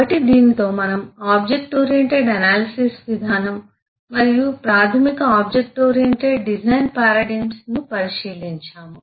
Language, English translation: Telugu, we have taken a look into the object oriented analysis approach and the basic object oriented design paradigm